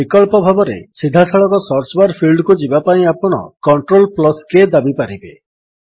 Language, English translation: Odia, Alternately, you can press CTRL+K to directly go to the Search bar field